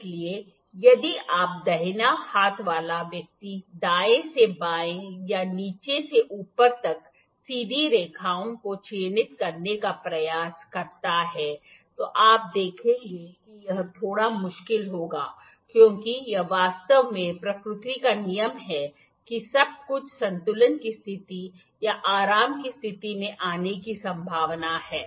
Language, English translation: Hindi, So, if your right handed person and try to mark straight lines from right to left or from bottom to top, you will see that it will be a little difficult because we are habitual or our body is habitual not habitual, it is actually the rule its rule of nature only that everything would be likely to come into the equilibrium position or the relax position